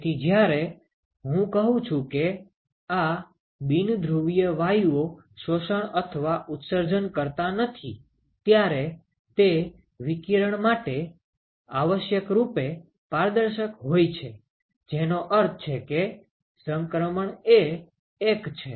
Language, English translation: Gujarati, So, when I say these non polar gases do not absorb or emit, they are essentially transparent to radiation, which means that the transitivity is equal to 1 ok